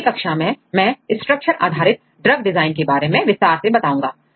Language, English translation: Hindi, In the later classes I will explain about the more details on the structure based drug design